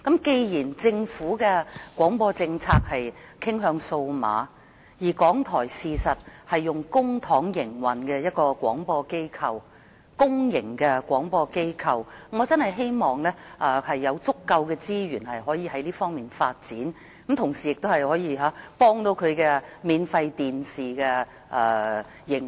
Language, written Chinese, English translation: Cantonese, 既然政府的廣播政策是傾向數碼廣播，而港台是一間用公帑營運的公營廣播機構，我真的希望港台有足夠資源可以發展數碼廣播，同時亦可以幫助免費電視的營運。, Given that the Governments broadcasting policy favours the development of DAB services and RTHK is a government - funded public broadcaster I really hope that sufficient resources will be given to RTHK to develop DAB services and to help support the free television programme service